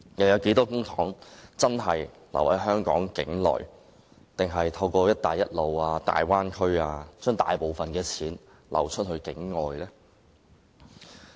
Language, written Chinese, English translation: Cantonese, 有多少公帑真的在香港境內運用，還是大部分公帑其實透過"一帶一路"和大灣區流往境外呢？, How much public coffers will really be expended in Hong Kong or will most of it be diverted to outside Hong Kong through the Belt and Road Initiative and the Guangdong - Hong Kong - Macao Bay Area?